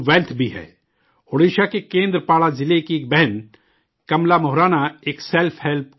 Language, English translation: Urdu, Kamala Moharana, a sister from Kendrapada district of Odisha, runs a selfhelp group